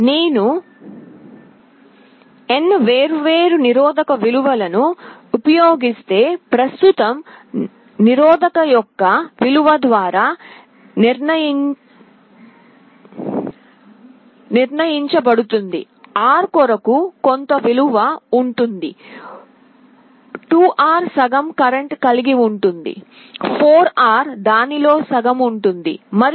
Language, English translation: Telugu, If I use n different resistance values, the current will be determined by the value of the resistance, for R it will be having some value, 2R will be having half the current, 4R will be having half of that, and so on